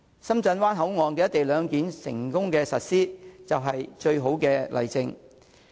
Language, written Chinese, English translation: Cantonese, 深圳灣口岸"一地兩檢"的成功實施，就是最好的例證。, The successful implementation of the Shenzhen Bay Port provides the best supporting evidence